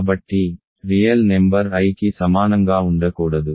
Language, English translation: Telugu, So, a real number cannot be equal to i